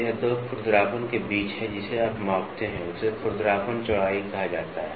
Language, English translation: Hindi, So, this is the between two roughness you what you measure is called as the roughness width